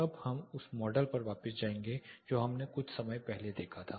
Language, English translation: Hindi, Now we will go back to the model which we saw little while ago